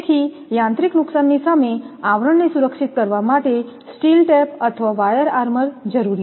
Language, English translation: Gujarati, So, steel tape or wire armour is necessary to protect the sheath against mechanical damage look